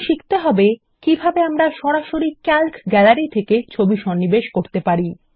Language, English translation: Bengali, Now we will learn how to insert images directly from the Calc Gallery